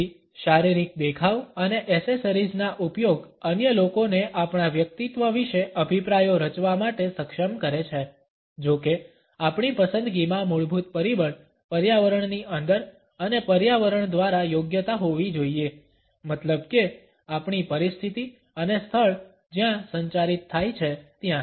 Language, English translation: Gujarati, So, about physical appearance and the use of accessories enables other people to form opinions about our personality, however the underlying factor in our choices should be appropriateness within an environment and by environment we mean the situation and the place where the communication takes place